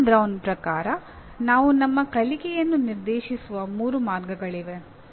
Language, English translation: Kannada, There are three ways we direct our learning according to Ann Brown